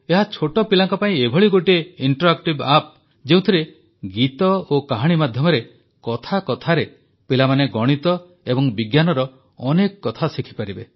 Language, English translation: Odia, This is an interactive app for children in which they can easily learn many aspects of maths and science through songs and stories